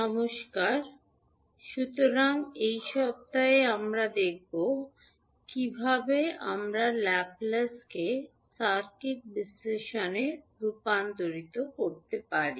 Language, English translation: Bengali, Namaskar, so in this week we will see how we can utilize the Laplace transform into circuit analysis